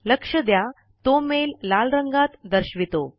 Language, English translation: Marathi, Notice that the mail is displayed in the colour red